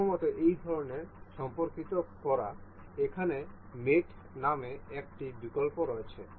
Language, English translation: Bengali, First is to to do such relations with there is an option called mate here